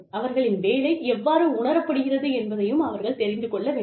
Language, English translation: Tamil, They should know, how their work is being perceived